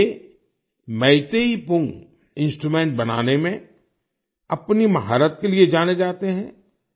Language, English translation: Hindi, He is known for his mastery in making Meitei Pung Instrument